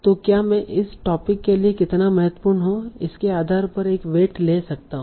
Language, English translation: Hindi, So can I give a weight depending on how important they are to the topic